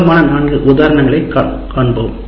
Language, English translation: Tamil, Let's give the four popular examples of that